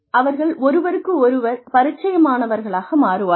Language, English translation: Tamil, They become familiar with each other